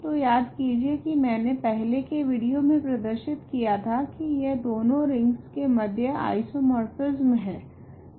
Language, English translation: Hindi, So, recall I have showed in an earlier video that there is an isomorphism between these two rings ok